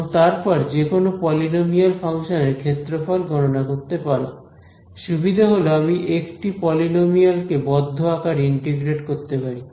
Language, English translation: Bengali, And, then compute the area any polynomial function the advantage is that what about its integral, I can integrate a polynomial in close form right